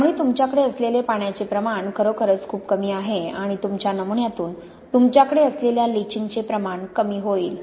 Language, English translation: Marathi, So the amount of water you have is really very small amount and will minimize the amount of leaching you have from your sample